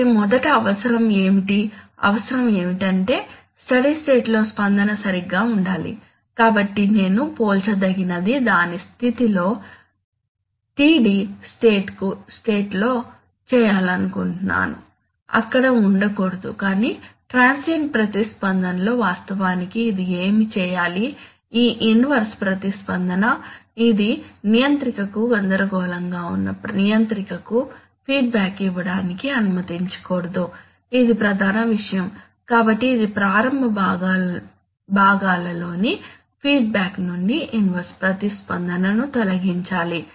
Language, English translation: Telugu, So first what is the requirement, the requirement is that, in the steady state my response should be alright, so this whatever compare I want to do its effect in the steady state should be, should not be there but in the transient response, actually what it should do is this inverse response, it should not allow to be feedback to the controller which is confusing the controller, this is the main thing, so it should remove the inverse response from the feedback in the initial parts